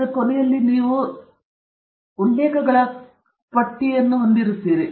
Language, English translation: Kannada, In the end of the paper, at the back of the paper, you will have a list of references